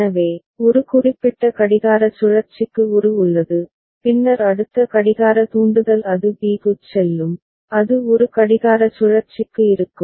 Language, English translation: Tamil, So, a is there for one particular clock cycle and then next clock trigger it goes to b and it will be there for one clock cycle